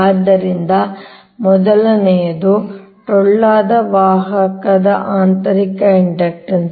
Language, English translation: Kannada, so first is the internal inductance of a hollow conductor